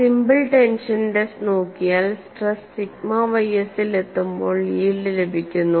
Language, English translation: Malayalam, See, in a simple tension test when the stresses reach sigma y s, yielding takes place